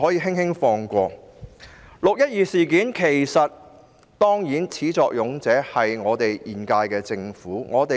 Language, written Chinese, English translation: Cantonese, 其實，"六一二"事件的始作俑者就是現屆政府。, Actually it was the current - term Government which originated the 12 June incident